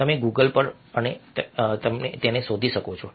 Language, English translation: Gujarati, you can google and find them